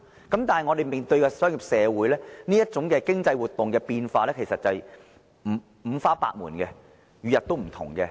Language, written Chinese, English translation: Cantonese, 但是，我們面對的商業社會，這類經濟活動的變化，其實是五花百門，每日不同的。, However in Hong Kongs commercial environment economic activities are highly diversified and are changing every day